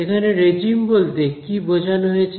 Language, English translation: Bengali, So, what is regime mean